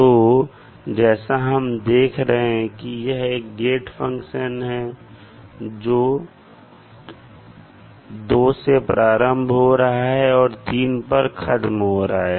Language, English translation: Hindi, This is a gate function which starts from two and completes at three